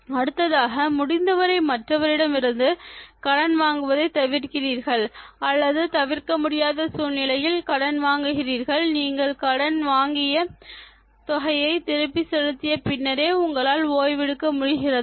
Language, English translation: Tamil, Next one: Do you avoid borrowing money from others to the maximum extent possible and if you borrow in inevitable circumstance, do you rest only after you pay the amount